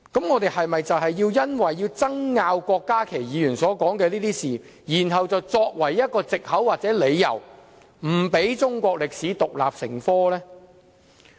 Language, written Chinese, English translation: Cantonese, 我們應否以郭家麒議員所說事情的爭拗為藉口或理由，不讓中史獨立成科呢？, Should we object to the teaching of Chinese history as an independent subject for the reason or pretext of the controversies concerning the cases referred to by Dr KWOK Ka - ki?